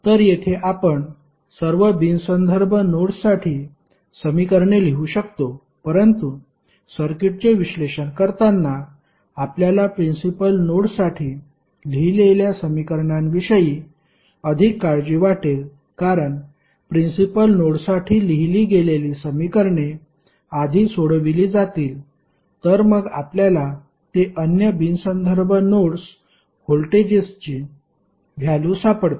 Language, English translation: Marathi, So, here you can write equations for all the non reference nodes but while analyzing the circuit you would be more concerned about the equations you write for principal nodes because the equations which you write for principal node would be solved first then you can find the value of other non reference nodes voltage value